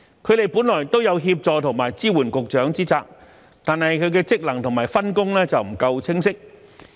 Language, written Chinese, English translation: Cantonese, 他們本來都有協助和支援局長之責，但其職能及分工卻不夠清晰。, Their duties are to assist and support the Directors of Bureaux but their functions and division of responsibilities are not clear